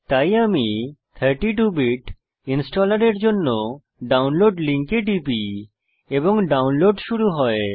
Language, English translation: Bengali, So I left click on the download link for 32 Bit Installer and download starts